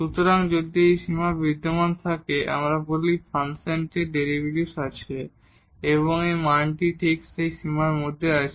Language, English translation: Bengali, So, if this limit exists we call the function has the derivative and its value is exactly that limit